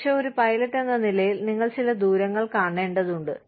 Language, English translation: Malayalam, But, as a pilot, you are required to see, certain distances